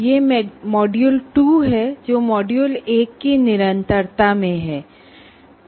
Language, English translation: Hindi, This is module 2 which is in continuation of that